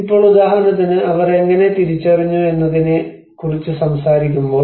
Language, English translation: Malayalam, Now, for example when we talk about how they have identified